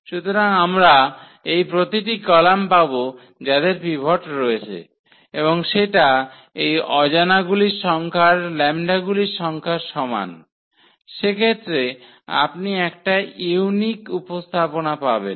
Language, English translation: Bengali, So, we will get these every column will have a pivot here and that will be equal to the number of these unknowns the number of lambdas in that case and you will get a unique representation